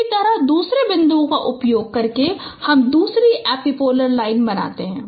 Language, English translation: Hindi, In the same way using the other point you form the second epipolar line